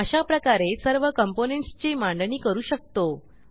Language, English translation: Marathi, Similarly you can arrange all the components